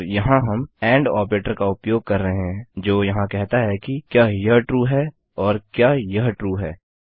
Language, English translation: Hindi, And we are using the and operator here which says Is this true AND is this true